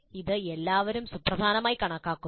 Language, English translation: Malayalam, This is considered important by all